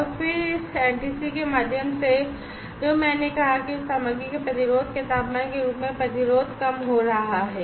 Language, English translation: Hindi, And then through this NTC which I said as a temperature of that resistance of that material is increasing, the resistance is decreasing